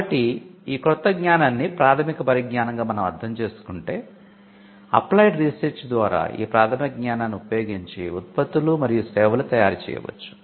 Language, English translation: Telugu, So, if you understand the new knowledge as a basic knowledge that has to be some applied research that needs to be done for converting the basic knowledge into products and services